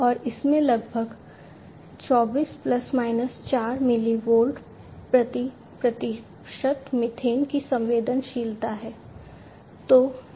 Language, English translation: Hindi, And it has a sensitivity of about 24 plus minus 4 milli volts per percentage methane